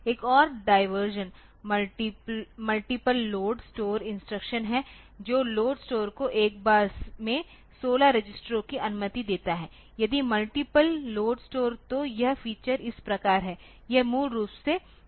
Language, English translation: Hindi, Another diversion is multiple load store instructions that allow load store up to 16 registers at once so, multiple load store if the feature is like this so, this is basically a CISC feature